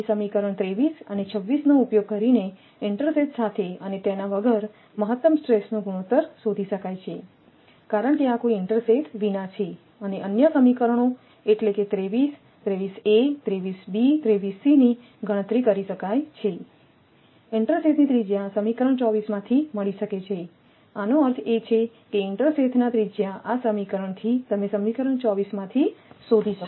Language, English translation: Gujarati, So, using equation 23 and 26 the ratio of maximum stress with and without intersheath can be calculated because this is without any intersheath and other equation 23; 23 means 23 a 23 b and 23 c, right calculated the radii of intersheath can be found from equation 24; that means, from this equation that radii radius of intersheath, you can find out from equation 24, right